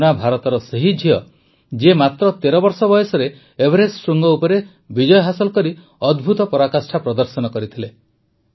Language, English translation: Odia, Poorna is the same daughter of India who had accomplished the amazing feat of done a conquering Mount Everest at the age of just 13